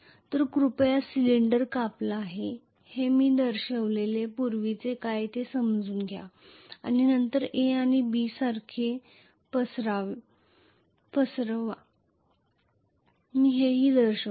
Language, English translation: Marathi, So please understand previously whatever I have shown I had shown that this cylinder is cut and then spread out the same A and B let me show here